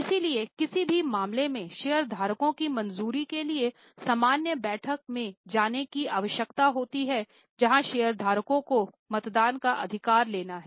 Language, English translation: Hindi, So, many matters need to go to general meeting for getting the shareholder approval where shareholders have a voting right